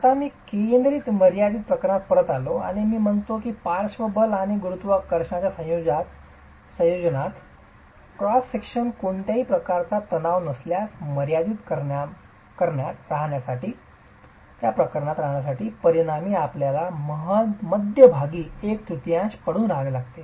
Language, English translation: Marathi, Now I come back to this central limiting case and I said that the under a combination of lateral forces and gravity forces the resultant has to lie within the middle one third for us to be in the limiting case of no tension in the cross section